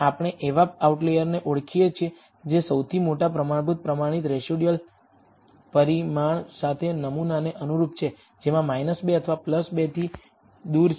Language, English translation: Gujarati, Which is we identify the outlier that corresponds to the sample with the largest standard standardized residual magnitude; which of which is furthest away from minus 2 or plus 2